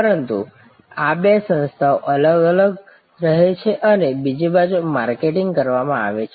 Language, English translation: Gujarati, But, these two entities remain distinctly separated and this side marketed to this side